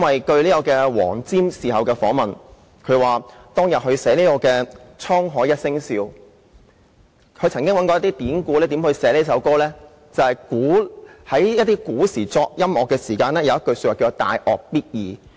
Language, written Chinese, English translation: Cantonese, 據黃霑在事後的訪問表示，他在寫作"滄海一聲笑"一曲時，曾經參考一些典故，看看如何撰寫這歌，他發現古時作曲有一說法，就是"大樂必易"。, Afterwards Mr James WONG said at an interview that when composing the music for the theme song A Laugh on the Open Sea he looked up some ancient empirical records to see how it should be written . He found that there was a view in the ancient writings that great music is easy